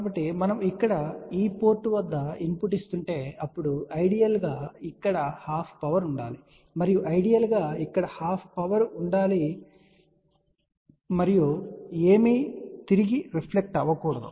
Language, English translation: Telugu, So, let us say if we are giving a input at this port here, then the half power should go here ideally and half power should go over here ideally and nothing should reflect back